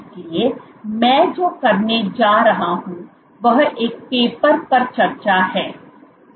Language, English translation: Hindi, So, what I am going to do is to discuss one paper